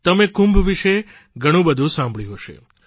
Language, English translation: Gujarati, You must have heard a lot about Kumbh